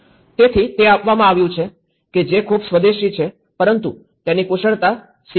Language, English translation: Gujarati, So that has given, which is very indigenous but one has to learn that skill